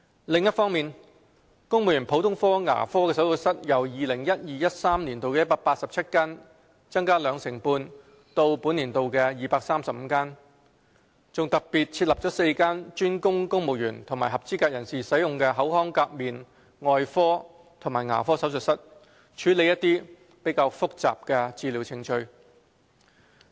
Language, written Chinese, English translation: Cantonese, 另一方面，公務員普通科牙科手術室由 2012-2013 年度的187間增加兩成半至本年度的235間，更特別設立4間專供公務員及合資格人士使用的口腔頜面外科及牙科手術室，處理較複雜的治療程序。, On the other hand the number of general dental surgeries for civil servants has been increased by 25 % from 187 in 2012 - 2013 to 235 in 2017 - 2018 . In particular four oral - maxillofacial surgery and dental surgeries for dedicated use by civil servants and eligible persons have been provided to handle more complicated treatment procedures